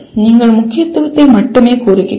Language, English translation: Tamil, You are only stating the importance